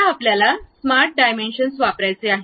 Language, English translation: Marathi, Now, you want to use smart dimension